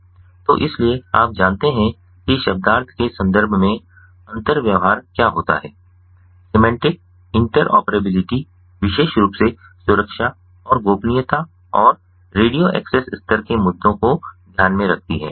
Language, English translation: Hindi, so the meaning, so the you know, interoperability in terms of semantics is what semantic interoperability specifically takes care: security and privacy and radio access level issues